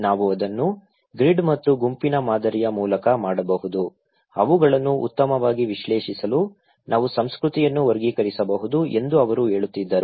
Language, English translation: Kannada, She was telling that we can do it through the grid and group pattern, we can categorize the culture in order to analyse them better